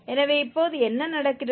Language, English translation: Tamil, So, what is happening now